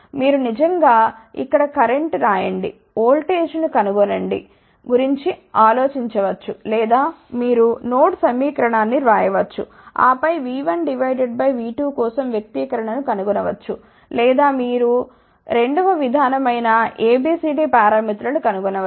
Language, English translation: Telugu, Analysis of this can be done in either of the previous 2 ways you can actually think about writing a current over here, finding the voltage or you can write a node equation, and then find the expression for V 1 by V 2 or you can use the second approach where you can use A B C D parameters